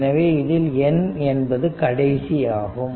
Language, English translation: Tamil, So, and n is the last one right